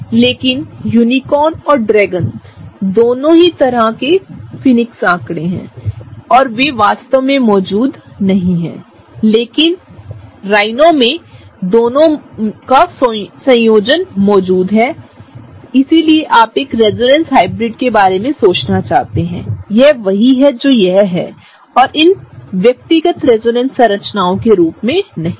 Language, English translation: Hindi, But both unicorns and dragons are kind of fictionary figures and they really do not exist, but rhino which is a combination of both of them really exists, so that’s how you want think of a resonance hybrid is that, that is what it exists as and not as these individual resonance structures, okay